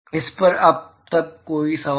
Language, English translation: Hindi, Any question on this so far